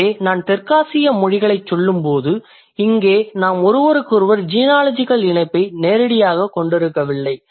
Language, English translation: Tamil, So when I say South Asian languages here we may not have direct genealogical link with each other but then we surely have an aerial affiliation among languages